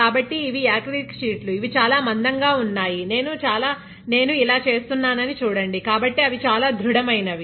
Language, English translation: Telugu, So, these are acrylic sheets they are very thick right, see I am doing this, nothing happens to them